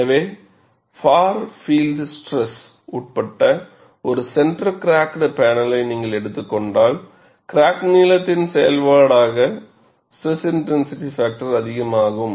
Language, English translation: Tamil, So, if you take a center cracked panel, subjected to a far field stress, SIF would increase as the function of crack length